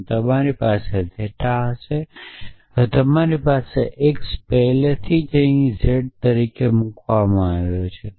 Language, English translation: Gujarati, And you will have theta now you have x is already been put as z here